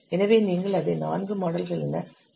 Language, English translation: Tamil, So you can correct it as four models